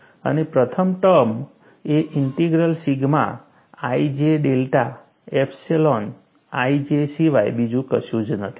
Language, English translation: Gujarati, And the first term is nothing but integral sigma i j delta epsilon i j